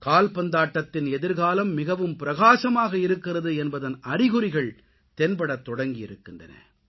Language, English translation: Tamil, The signs that the future of football is very bright have started to appear